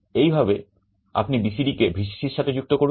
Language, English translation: Bengali, So, BCD you are connecting to Vcc like this